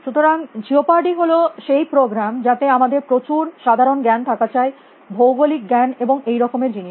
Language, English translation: Bengali, So, jeopardy is the program, which in which we need lot of general knowledge, geographic knowledge and thinks like that